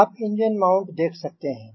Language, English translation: Hindi, you can see this is the engine mount